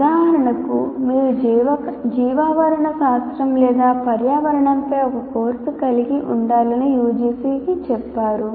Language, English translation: Telugu, For example, UGC says you have to have a course on ecology or environment, whatever name that you want